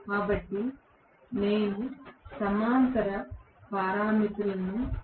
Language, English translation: Telugu, So, I will be able to determine the parallel parameters